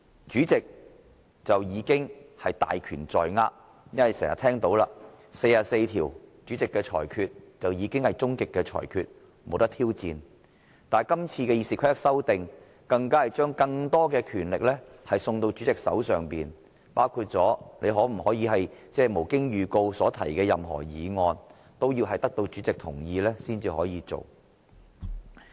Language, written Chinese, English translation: Cantonese, 主席已經大權在握，正如《議事規則》第44條已訂明主席的裁決是最終的裁決，不容挑戰；但今次對《議事規則》的修訂更是將更多的權力送到主席的手上，包括議員是否可以無經預告提出議案，也必須得到主席同意才能提出。, Therefore RoP will suit the respective ends of all parties and the amendments would only cause the entire Council The President already has great powers as RoP 44 provides that the Presidents decision shall be final meaning that it shall not be subject to challenge . But these amendments to RoP will further place even more powers into the hands of the President . For instance the consent of the President is required for a Member to move a motion without notice